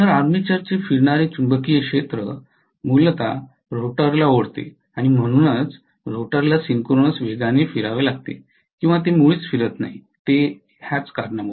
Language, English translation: Marathi, So the armature revolving magnetic field essentially drags the rotor along and that is the reason why rotor has to rotate at synchronous speed or it cannot rotate at all